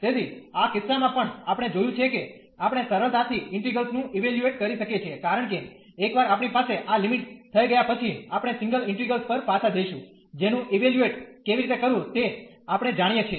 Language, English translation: Gujarati, So, in this case also we have seen that we can easily evaluate the integrals, because once we have these limits we are going back to the single integrals, which we know how to evaluate